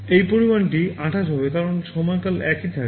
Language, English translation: Bengali, This sum will be 28 because period will remain same